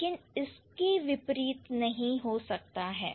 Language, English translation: Hindi, The other way around may not hold true